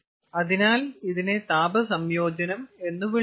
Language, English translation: Malayalam, so this is called heat integration